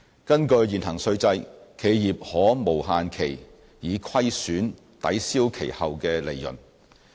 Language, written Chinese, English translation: Cantonese, 根據現行稅制，企業可無限期以虧損抵銷其後利潤。, Under the prevailing tax regime the losses of an enterprise can offset its profits in future years without any time limit